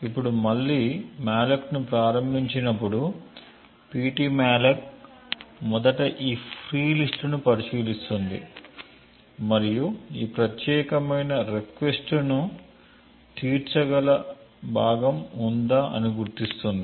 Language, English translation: Telugu, Now when malloc is invoked again pt malloc would first look into these free list and identify if there is a chunk which can satisfy this particular request